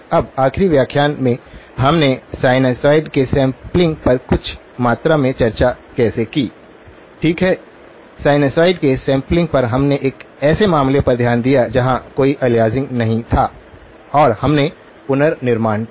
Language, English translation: Hindi, Now, in the last lecture how we did of some amount of discussion on the sampling of sinusoids, okay, sampling of sinusoids, we looked at a case where there was no aliasing and we did a reconstruction